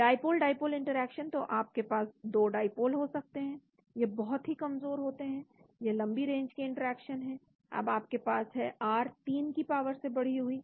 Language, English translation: Hindi, Dipole dipole interaction, so you can have 2 dipoles they are very weak, they are long range interaction, now you have r raise to the power 3